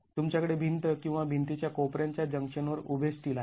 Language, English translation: Marathi, You have the vertical steel coming at the junction of walls or the wall corners